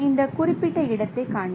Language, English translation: Tamil, So, this is this particular location